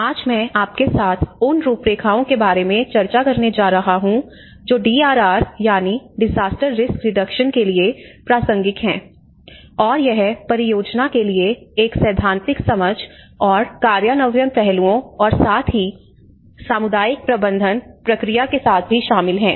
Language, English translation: Hindi, Today I am going to discuss with you about a few of the frameworks which are relevant to the DRR which is disaster risk reduction, and it covers both from a theoretical understanding to the project and the implementation aspects and also with the kind of community management process as well